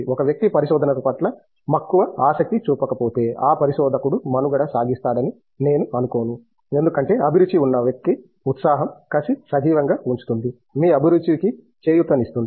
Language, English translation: Telugu, If a person is not passionate about the research I don’t think any researcher would survive because for person with passion it will keep the fire alive, ignite your passion